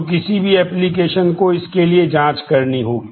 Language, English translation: Hindi, So, any application will need to check for this